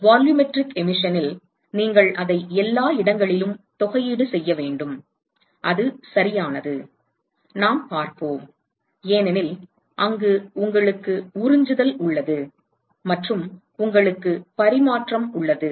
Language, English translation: Tamil, In volumetric emission, that is correct you will have to integrate it everywhere and we will see because there you have absorption and you also have transmission